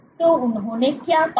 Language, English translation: Hindi, So, what they found